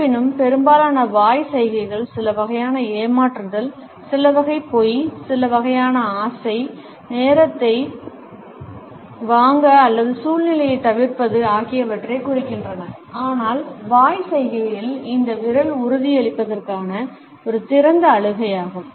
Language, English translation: Tamil, Even though, most hand to mouth gestures indicate some type of a deception, some type of a lying, some type of a desire, to buy time or to avoid the situation, but this finger in mouth gesture is an open cry for reassurance